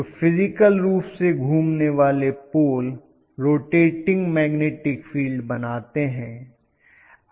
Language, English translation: Hindi, So physically rotating poles creates a revolving magnetic field